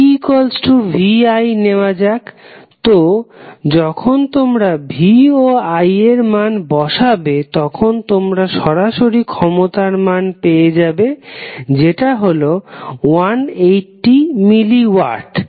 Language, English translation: Bengali, Let us take 1 formula like P is equal to V I, so when you put value V and I you directly get the value of power dissipated that is 180 milliwatt